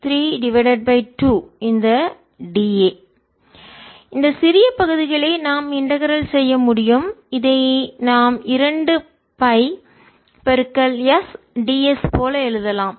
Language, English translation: Tamil, and the integration these d d a is we can integrate over this small parts which we can write like two pi s by s